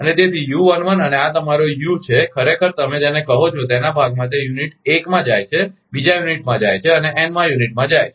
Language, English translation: Gujarati, And so, u11 and your this u, actually your what you call in part of that is going to unit one, going to unit two two and going to unit n